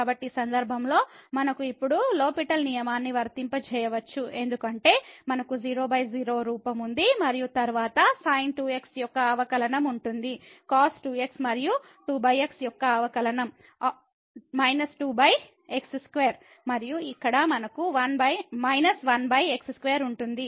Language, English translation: Telugu, So, in this case we can now apply the L'Hhospital rule because we have the 0 by 0 form and then the derivative of the will be the and the derivative of 2 over will be minus over square and here also we have minus over square